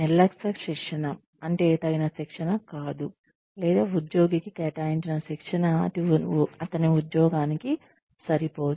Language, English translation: Telugu, Negligent training is insufficient training, or training not suited for the job, the employee may be assigned